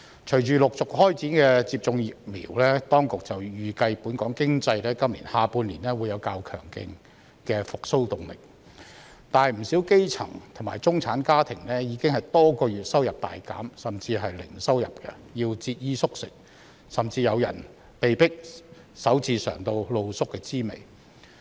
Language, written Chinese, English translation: Cantonese, 隨着陸續開展接種疫苗，當局預計本港經濟在今年下半年會有較強勁的復蘇動力，但不少基層和中產家庭已經多個月收入大減甚至零收入，要節衣縮食，甚至有人被迫首次嘗到露宿的滋味。, With the gradual roll - out of the vaccination campaign the authorities anticipate that the economy of Hong Kong will show a relatively strong momentum of recovery in the second half of this year . Yet many grass - roots and middle - class families have their income greatly reduced or even go without income for many months . They have to tighten their belt and some of them are even forced to sleep on the streets for the first time